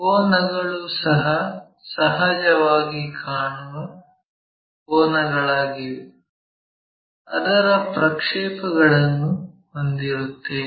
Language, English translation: Kannada, And, the angles are also apparent angles we will have it as projections